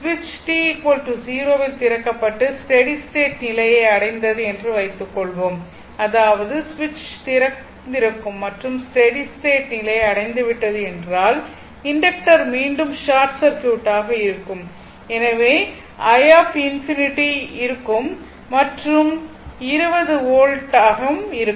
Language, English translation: Tamil, So, this switch is opened now and at t is equal to 0 and suppose a steady state is reached; that means, switch is open and steady state is reached means inductor again will be short circuit therefore, my i infinity will be is equal to 20 volt and this is open now